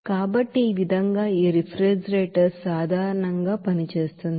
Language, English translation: Telugu, So in this way this refrigerator generally works